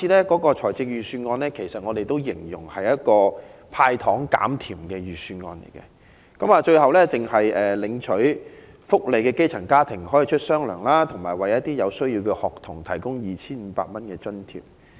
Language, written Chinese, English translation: Cantonese, 今年的預算案，我們形容為"派糖減甜"的預算案，只有領取福利的基層家庭可以"出雙糧"，以及有需要的學童可領取 2,500 元津貼。, I would say the candies handed out in this years Budget are not too sweet as only the grass - roots families on social welfare and students in need can receive a double pay and a grant of 2,500 respectively